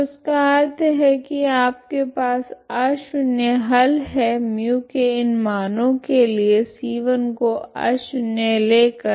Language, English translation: Hindi, So that means so you have a nonzero solution for such Mu values by taking c 1 as nonzero